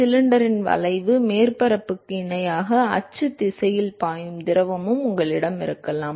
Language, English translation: Tamil, You could also have fluid which is actually flowing in the axial direction, parallel to the curves surface of the cylinder